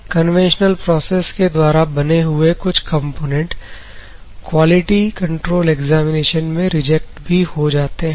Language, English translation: Hindi, So, some of the components in a conventional finishing processes may reject in the quality control examination